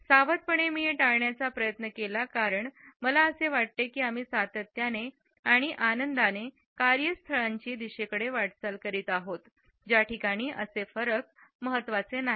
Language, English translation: Marathi, Meticulously I have tried to avoid it because I feel that we are consistently and happily moving in the direction of those work places where these differences are not important anymore